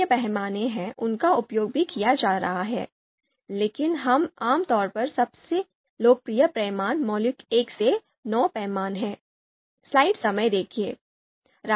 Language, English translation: Hindi, So other scales are there, they are in use as well, but typically most popular being the fundamental 1 to 9 scale